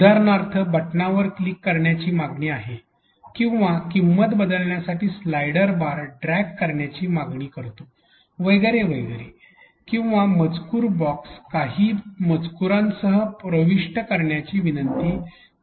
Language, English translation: Marathi, For example a button demands to be clicked or a slider bar demands to be dragged in order to change values and so on and so forth or a text box is pleading to be entered with some texts